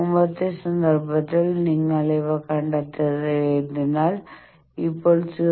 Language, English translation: Malayalam, So find out in previous case you have found these so now 0